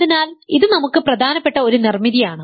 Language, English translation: Malayalam, So, this is an important construction for us